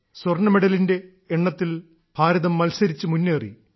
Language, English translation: Malayalam, India also topped the Gold Medals tally